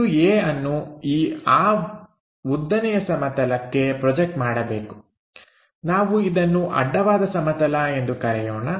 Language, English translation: Kannada, So, here point A projected onto vertical plane, this is the vertical plane